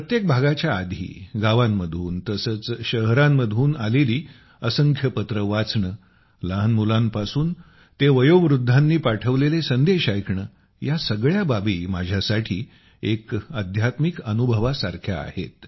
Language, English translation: Marathi, Before every episode, reading letters from villages and cities, listening to audio messages from children to elders; it is like a spiritual experience for me